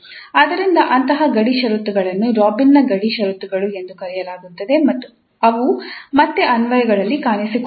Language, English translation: Kannada, So such boundary conditions are called Robin's boundary conditions and they again often appear in applications